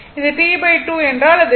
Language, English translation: Tamil, So, it is T by 4